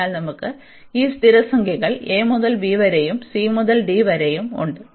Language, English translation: Malayalam, So, we have these constant numbers a to b, and there also c to d